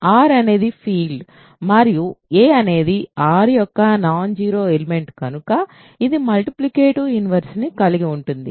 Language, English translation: Telugu, Since R is a field and small a is a non zero element of R it has a multiplicative inverse